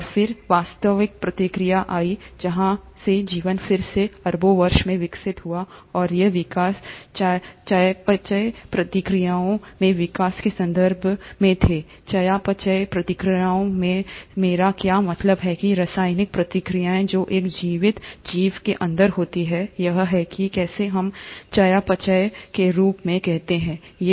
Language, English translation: Hindi, And then came the actual process from where the life went on evolving again over billions of years, and these evolutions were in terms of evolutions in metabolic reactions, what I mean by metabolic reactions are the chemical reactions which happen inside a living organism, is how we call as metabolism